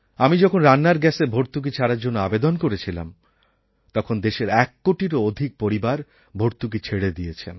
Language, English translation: Bengali, When I asked the people to give up their cooking gas subsidy, more than 1 crore families of this country voluntarily gave up their subsidy